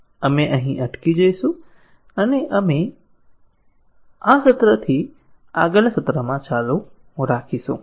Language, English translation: Gujarati, We will stop here and we will continue from this point, in the next session